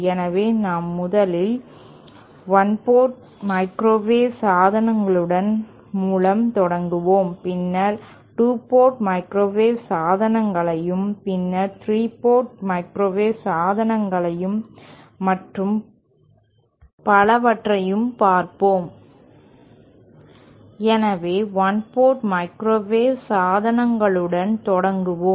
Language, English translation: Tamil, So, we shall be starting with one port microwave devices 1st and then we will proceed to 2 port microwave devices, then to 3 port microwave devices and so on